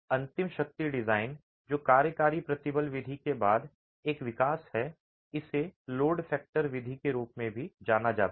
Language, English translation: Hindi, The ultimate strength design which is a development after the working stress approach, it's also referred to as the load factor method